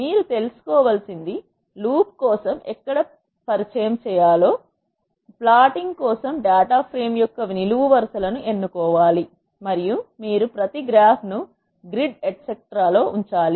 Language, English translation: Telugu, What you have to know, is you have know where to introduce for loop, which columns of data frame to be selected for plotting, and you have to also position each graph in the grid etcetera